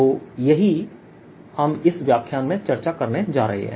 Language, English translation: Hindi, so that is what we are going to establish in this lecture